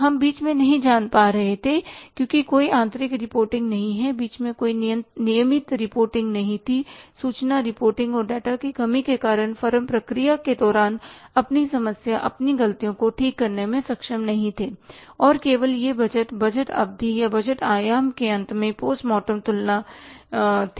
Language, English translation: Hindi, We were not knowing in between because there is no internal reporting, there was no regular reporting in between and because of the lack of the information reporting and the data, firms were not able to correct their problems, their mistakes during the process and only it was a post mortem comparison at the end of the budget budget period of the budgeting horizon